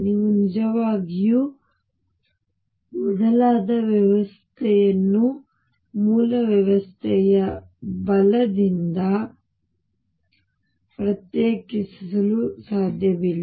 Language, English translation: Kannada, You cannot really distinguish the shifted system from the original system right